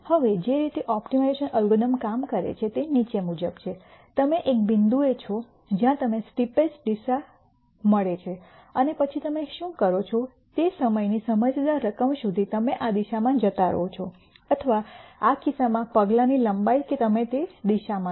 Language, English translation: Gujarati, Now, the way optimization algorithms work is the following, you are at a point you find the steepest descent direction, and then what you do is you keep going in that direction till a sensible amount of time or in this case the length of the step that you take in that direction